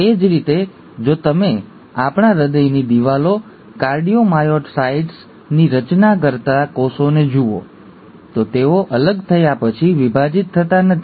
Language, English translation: Gujarati, Similarly, if you look at the cells which form the walls of our heart, the cardiomyocytes, they do not divide after they have differentiated